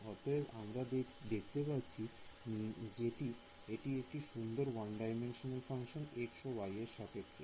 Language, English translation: Bengali, So, we can see that this is a nice one dimensional function in x and y